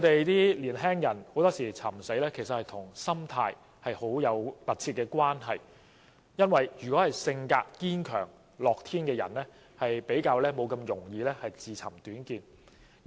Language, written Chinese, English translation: Cantonese, 年輕人尋死其實常常與心態有密切關係，因為性格堅強和樂天的人通常不會輕易自尋短見。, In fact suicides among young people are often closely linked to their mindset as a person of strong character tends not to commit suicide easily